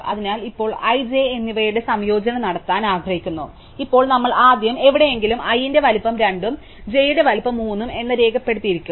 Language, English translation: Malayalam, So, now we want to do the union of i and j, so now we first will somewhere we will have recorded that the size of i is 2 and the size of j is 3